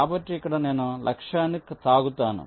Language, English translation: Telugu, so here i touch the target